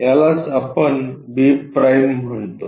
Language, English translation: Marathi, This is what we call b’